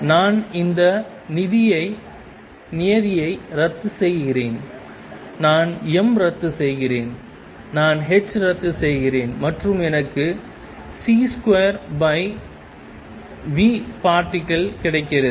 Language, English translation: Tamil, Then I cancel this term I cancel m, I cancel h and I get c square over v particle